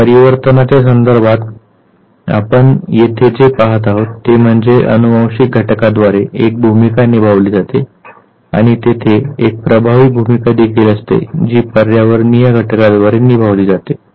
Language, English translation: Marathi, So, what basically we see here in terms of mutation is that there is a role played by the genetic factor and there is also effective role that is played by the environmental factor